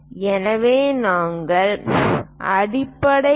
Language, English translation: Tamil, So, it is going to make a point B